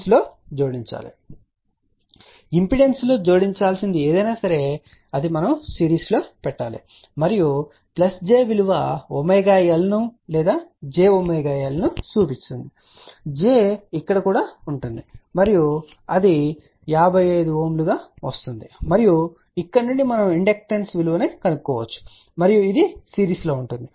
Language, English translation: Telugu, And anything in impedance to be added it should be in series and plus j value will imply omega L or j omega L j will be here also and that is comes out to be 55 ohm and from here we can find the value of inductance and this is in series